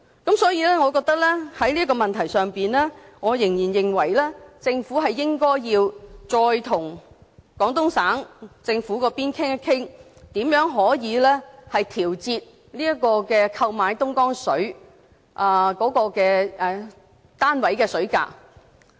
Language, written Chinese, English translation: Cantonese, 故此，在這個問題上，我仍然認為，政府應該再次與廣東省政府商討，如何調節購買東江水單位的水價。, Regarding this issue I still think that the Government should negotiate with the Guangdong provincial government again on how to revise the unit purchase price of Dongjiang water